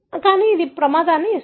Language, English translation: Telugu, So, that gives the risk